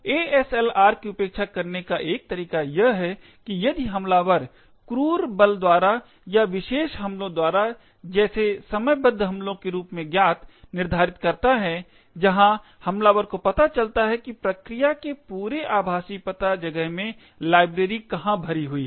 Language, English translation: Hindi, One way of bypassing ASLR is if the attacker determines either by brute force or by special attacks known as timing attacks, where the attacker finds out where in the entire virtual address space of the process is the library actually loaded